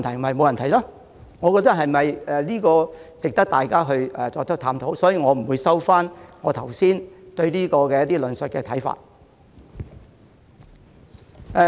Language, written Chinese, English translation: Cantonese, 我認為這是值得大家探討的問題，所以，我不會收回剛才有關該宗案件的論述和看法。, I think this issue is worthy of discussion; so I will not withdraw my comments and views on the case